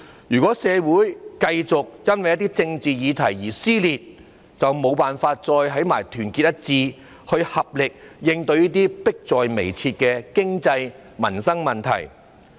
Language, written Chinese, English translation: Cantonese, 如果社會繼續因為政治議題而撕裂，便無法團結一致，以合力應對這些迫在眉睫的經濟及民生問題。, If society remains riven because of political issues it will not be able to unite and make a concerted effort in coping with these pressing economic and public livelihood issues